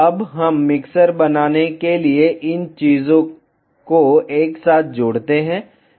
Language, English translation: Hindi, Now, let us add this things together to make the mixer